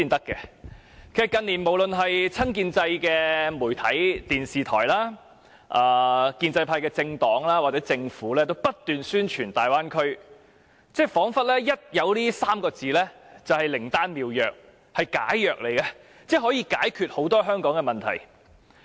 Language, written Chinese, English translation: Cantonese, 近年來，無論是親建制的媒體、電視台、建制派政黨還是政府皆不斷宣傳大灣區，彷彿這3個字便是靈丹妙藥或解藥，可以解決很多香港的問題。, Over recent years media organizations television broadcasters and political parties from the pro - establishment camp and also the Government have kept promoting the Bay Area . It looks like these three words is a panacea or antidote that can solve various problems in Hong Kong